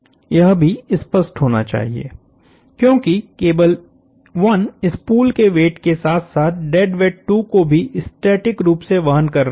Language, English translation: Hindi, That should also be obvious, because the cable 1 is bearing the weight of the spool plus the dead weight 2 in a static sense